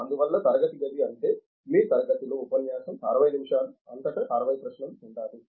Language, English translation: Telugu, Therefore, the classroom means in your lecturer hour of 60 minutes, there should be 60 questions across